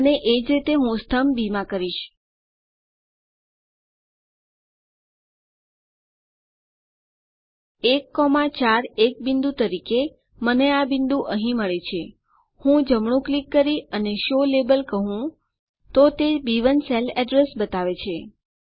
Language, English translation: Gujarati, And similarly I will in column B I will 1,4 as a point I get this point here I can right click and say show label it shows B1 the cell address